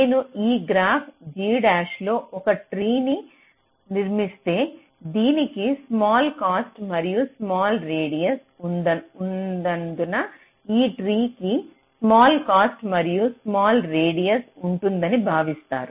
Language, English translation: Telugu, so if i construct a tree in this graph, g dash, because it has a small cost and radius, this tree is also expected to have a small radius and a small cost